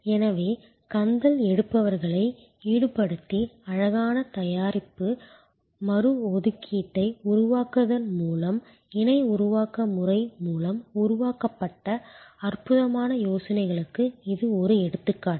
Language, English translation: Tamil, So, this is an example of wonderful ideas created through the co creation methodology by involving the rag pickers and creating beautiful product reassignment